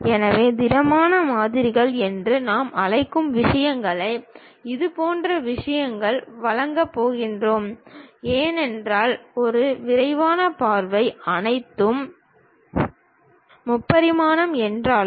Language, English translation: Tamil, So, a detailed view if we are going to provide such kind of things what we call solid models; though all are three dimensional